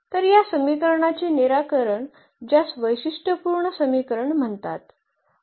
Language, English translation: Marathi, So, the solution of this equation which is called the characteristic equation